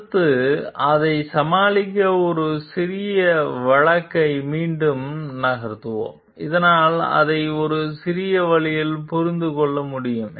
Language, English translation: Tamil, Next we will move on to again a small case to deal with it, so that we can understand it in a better way